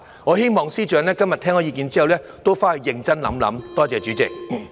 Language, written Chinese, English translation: Cantonese, 我希望司長今天聽到意見後會回去認真考慮。, It is my hope that the Chief Secretary will seriously consider the views that he has listened to today